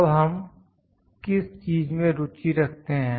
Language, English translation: Hindi, Now, what we are interested in